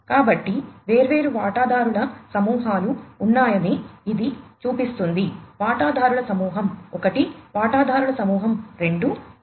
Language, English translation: Telugu, So, this shows that there are different stakeholder groups stakeholder group 1, stakeholder group 2